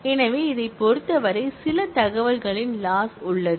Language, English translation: Tamil, So, there is some loss of information in terms of this